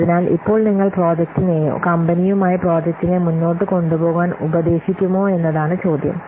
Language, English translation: Malayalam, So now the question is, would you advise the project or the company going ahead with the project